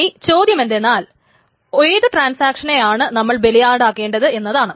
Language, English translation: Malayalam, Now the question is, which transaction is the victim